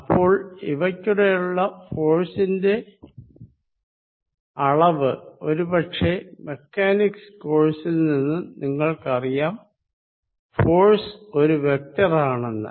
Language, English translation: Malayalam, Then, the force between them the magnitude force of course, you know from your Mechanics course that force is a vector quantity